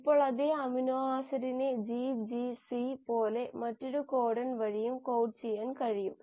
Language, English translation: Malayalam, Now the same amino acid can also be coded by another codon, like GGC